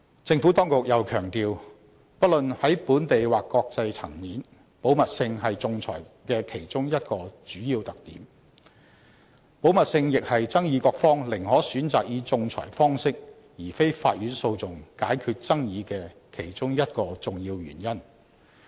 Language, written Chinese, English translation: Cantonese, 政府當局又強調，不論在本地或國際層面，保密性是仲裁的其中一個主要特點。保密性亦是爭議各方寧可選擇以仲裁方式解決爭議的其中一個重要原因。, The Administration has further emphasized that confidentiality is whether locally or internationally one of the common features of arbitration and it is also one of the key reasons why parties often prefer to use arbitration to resolve their disputes